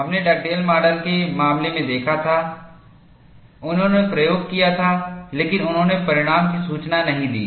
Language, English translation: Hindi, We had seen in the case of Dugdale model; he had performed the experiment, but he did not report the result